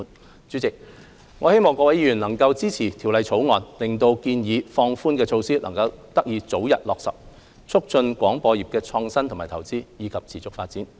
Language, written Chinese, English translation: Cantonese, 代理主席，我希望各位議員能夠支持《條例草案》，令建議的放寬措施得以早日落實，促進廣播業創新和投資，以及持續發展。, Deputy President I hope that Members will support the Bill so that the proposed relaxation measures can be implemented as early as possible thereby promoting innovation investments and sustainable development of the broadcasting sector